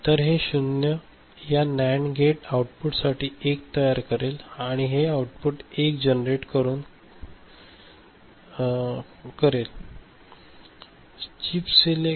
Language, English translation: Marathi, So, this 0 will generate for this NAND gate output a 1 and it will generate a output this is 1 please understand